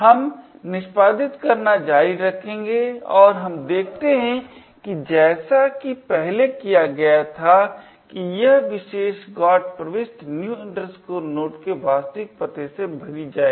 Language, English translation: Hindi, Will continue executing and what we see as done before that this particular GOT entry would be fill with the actual address of new node